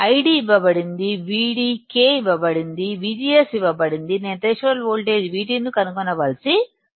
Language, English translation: Telugu, I D is given, V D, K is given, V G S is given; I have to just find out threshold voltage VT